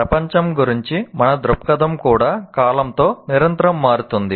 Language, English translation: Telugu, Even our view of the world continuously changes with time